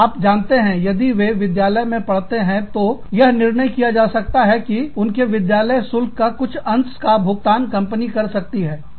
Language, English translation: Hindi, You know, if they are in school, then they may decide, to pay a portion of the fees, of the children's school